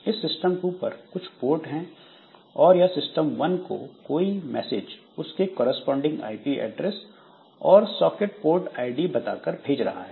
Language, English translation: Hindi, So, system 2 also has got some ports here and this system 2 is sending this message to system 1 by telling the corresponding IP address and the socket port ID